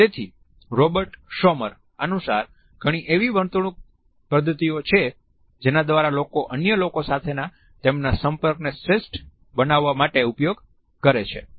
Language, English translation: Gujarati, So, there are behavioral mechanisms according to Robert Sommer that people use to optimize their contact with other people